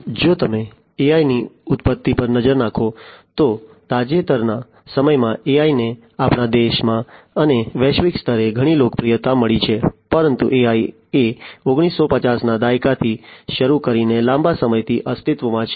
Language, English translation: Gujarati, If you look at the origin of AI, AI in the recent times have found lot of popularity in our country and globally, but AI has been there since long starting from the 1950s AI has been in existence